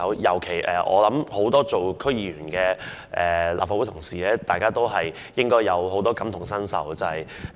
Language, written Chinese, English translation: Cantonese, 尤其是，身兼區議員的立法會議員應該感同身受。, Well in particular those Legislative Council Members who are also DC members should have the same feeling